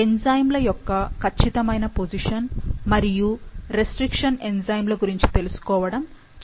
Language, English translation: Telugu, The exact location of the enzymes, the restriction enzymes is important to know